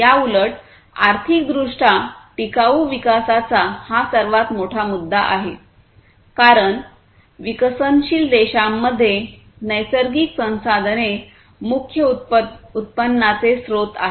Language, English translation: Marathi, So, this is one of the biggest issues, in contrast, to economically sustainable development as natural resources are the main source of revenue in developing countries